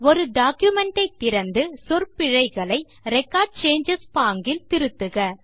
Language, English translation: Tamil, Open a document and make corrections to spelling mistakes in Record Changes mode